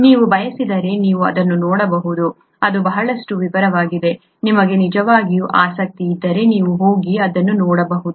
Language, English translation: Kannada, If you want you can take a look at it, it’s a lot of detail, if you’re really interested you can go and take a look at this